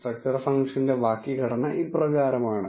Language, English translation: Malayalam, The syntax for the structure function is as follows